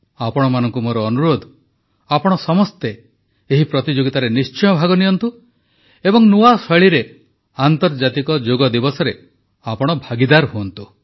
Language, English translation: Odia, I request all of you too participate in this competition, and through this novel way, be a part of the International Yoga Day also